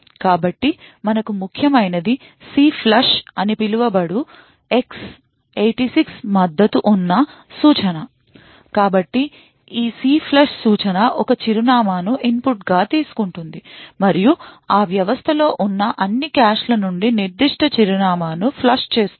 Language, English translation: Telugu, So what is important for us is this X 86 supported instruction known as CLFLUSH, so this CLFLUSH instruction takes an address as input and flushes that particular address from all the caches present in that system